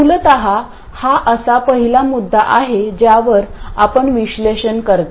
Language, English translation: Marathi, Essentially it is the first point at which you do the analysis